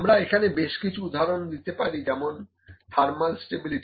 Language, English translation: Bengali, A few examples where can be like thermal stability